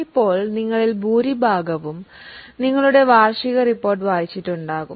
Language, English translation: Malayalam, Now most of you would have read your annual report